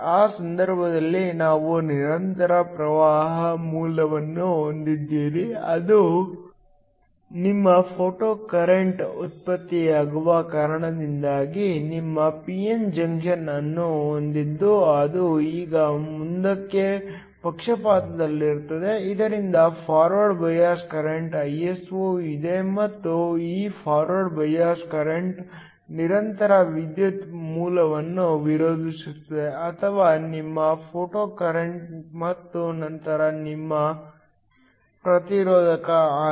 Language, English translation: Kannada, In that case, you have a constant current source which is your photocurrent generated because of the incident light you have your p n junction that is now under forward bias so that there is a forward bias current Iso and this forward bias current opposes the constant current source or your photocurrent and then there is your resistor R